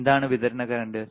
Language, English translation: Malayalam, What is the supply current